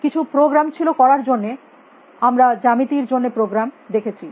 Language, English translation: Bengali, They were programs to do in a we saw program for geometry